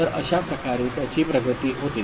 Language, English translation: Marathi, So, this is how it progresses